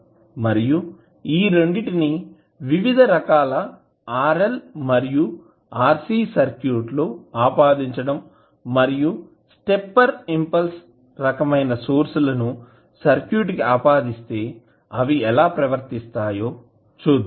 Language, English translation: Telugu, And then we will apply both of them into the various RC and RL circuits and see how they will behave when we will apply either stepper impulse type of sources into the circuit, Thank You